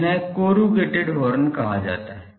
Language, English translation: Hindi, Those are called corrugated horns